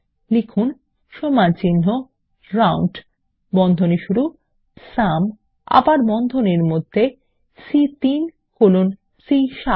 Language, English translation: Bengali, Type is equal to ROUND,open brace SUM and again within braces C3 colon C7